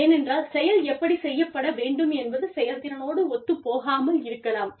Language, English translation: Tamil, Because, how things should be done, may not be in line with the efficiency